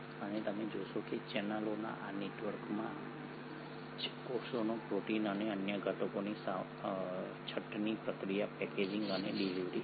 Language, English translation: Gujarati, And you find that it is in these networks of channels that the sorting, processing, packaging and delivery of the proteins and other constituents of the cells happen